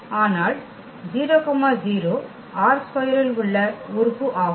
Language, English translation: Tamil, So, that is a 0 element in this R 3